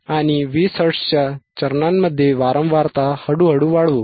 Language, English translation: Marathi, And slowly increase the frequency at a step of 20 Hertz,